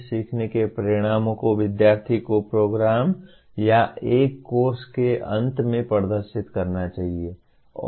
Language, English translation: Hindi, The learning outcomes the student should display at the end of a program or a course